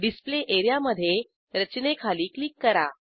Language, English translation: Marathi, Click on the Display area below the structure